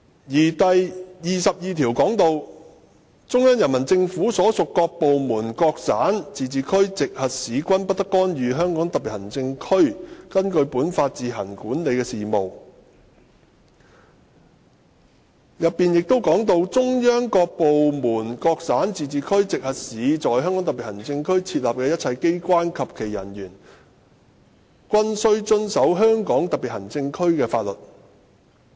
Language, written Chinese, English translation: Cantonese, 根據《基本法》第二十二條，"中央人民政府所屬各部門、各省、自治區、直轄市均不得干預香港特別行政區根據本法自行管理的事務......中央各部門、各省、自治區、直轄市在香港特別行政區設立的一切機關及其人員均須遵守香港特別行政區的法律"。, According to Article 22 of the Basic Law No department of the Central Peoples Government and no province autonomous region or municipality directly under the Central Government may interfere in the affairs which the Hong Kong Special Administrative Region administers on its own in accordance with this Law